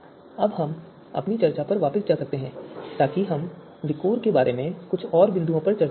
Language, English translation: Hindi, Now let us go back to our discussion so we will discuss a few more points about you know VIKOR